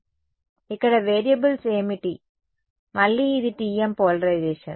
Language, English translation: Telugu, So, what were the variables over here again this is TM polarization